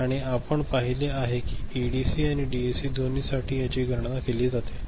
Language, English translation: Marathi, And we have seen it how it is calculated for both ADC and DAC